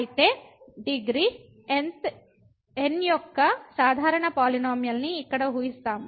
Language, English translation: Telugu, So, we assume here a general polynomial of degree